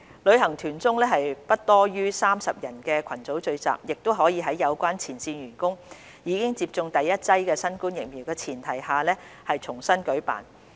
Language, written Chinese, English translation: Cantonese, 旅行團中不多於30人的群組聚集，亦可在有關前線員工已經接種第一劑新冠疫苗的前提下重新舉辦。, Group gatherings of not more than 30 persons each during tours may also resume operation on the premise that their frontline staff must have received the first dose of COVID - 19 vaccine